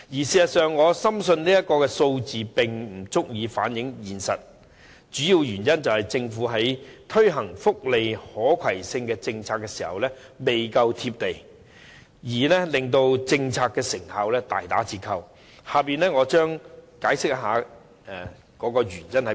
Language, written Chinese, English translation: Cantonese, 事實上，我深信這數字不足以反映現實，主要原因是政府在推行福利可攜性政策時不夠現實，令政策成效大打折扣，以下我將會解釋原因。, In fact I strongly believe this figure cannot fully reflect the reality mainly because the Government is not realistic enough when implementing the policy on portable welfare benefits . As a result its effectiveness has been greatly affected . I will explain the reason in the following part of my speech